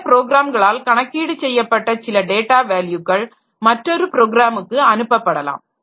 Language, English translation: Tamil, So some data value computed by some program has to be sent to some other program